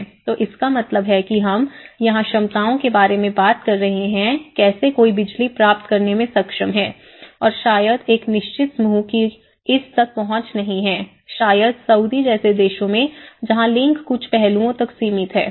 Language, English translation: Hindi, So which means we are talking here about the capacities, how one is able to access to the power and the access and maybe a certain group is not having an access, maybe in countries like Saudi where gender have a limited access to certain aspects